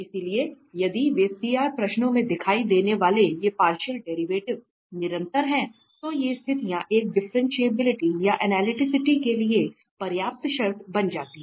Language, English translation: Hindi, So, if they are continuous these partial derivatives appearing in CR questions, then these conditions become sufficient condition for a differentiability or analyticity